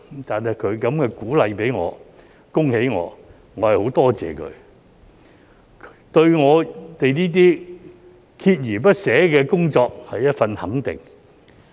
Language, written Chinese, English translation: Cantonese, 對於他給予我這樣的鼓勵、恭喜我，我很感謝他，這對我們鍥而不捨的工作是一種肯定。, I am very thankful for his words of encouragement and congratulations to me . This is a recognition of our perseverance